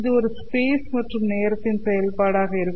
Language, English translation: Tamil, This two will be a function of both space and time